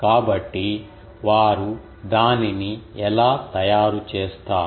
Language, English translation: Telugu, So, how they make it